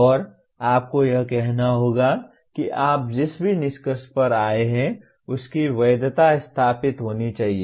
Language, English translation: Hindi, And you have to say whatever conclusion that you have come to its validity should be established